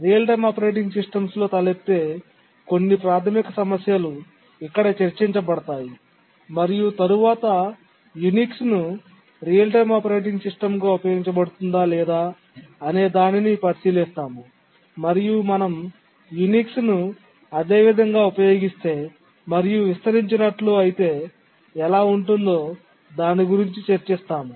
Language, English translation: Telugu, This lecture will continue with some basic issues that arise in real time operating systems and after that we'll look at whether Unix can be used as a real time operating system, what problems may arise if we use Unix as it is, and how it can be extended